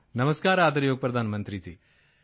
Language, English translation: Punjabi, Namaskar respected Prime Minister ji